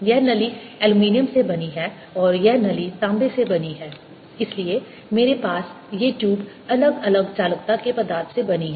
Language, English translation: Hindi, this tube is made of aluminum and this tube is made of copper, so that i have these tubes made of material of different conductivity